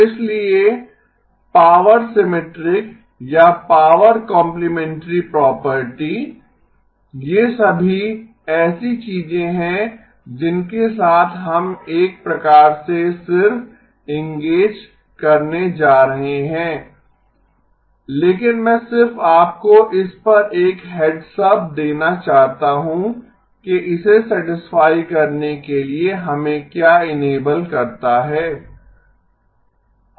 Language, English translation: Hindi, So power symmetric or power complementary property, these are all things that we are going to just sort of engage with but I just wanted to give you a heads up on what is the what enables us to satisfy this okay